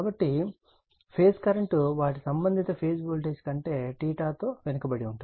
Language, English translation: Telugu, So, the phase current lag behind their corresponding phase voltage by theta